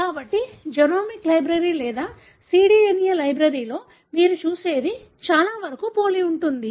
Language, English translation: Telugu, So, that is something very similar what you see in genomic library or cDNA library